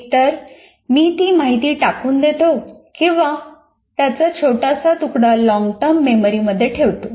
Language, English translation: Marathi, Either I throw it out or only put a bit of that into transfer it to the long term memory